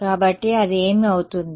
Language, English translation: Telugu, So, what is that going to be